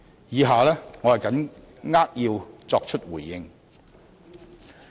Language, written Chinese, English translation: Cantonese, 以下我扼要作出回應。, I will now respond briefly